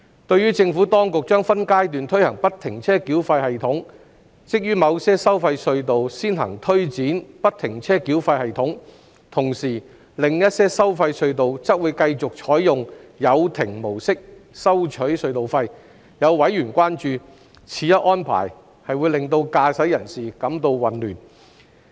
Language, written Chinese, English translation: Cantonese, 對於政府當局將分階段推行不停車繳費系統，即於某些收費隧道先行推展不停車繳費系統，同時，另一些收費隧道則會繼續採用有亭模式收取隧道費。有委員關注，此一安排會令駕駛人士感到混亂。, FFTS being first implemented at certain tolled tunnels while the booth - mode of toll collection continuing to be used at some other tolled tunnels there have been concerns whether this arrangement will cause confusion to motorists